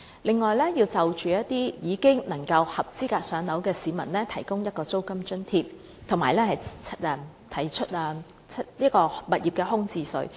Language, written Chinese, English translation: Cantonese, 另一方面，對一些已經合資格"上樓"的市民，政府應提供租金津貼，並須開徵物業空置稅。, Besides the Government should provide rent subsidy to members of the public who are already eligible for public housing . The Government should also introduce vacant property tax